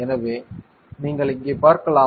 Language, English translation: Tamil, So, you can see here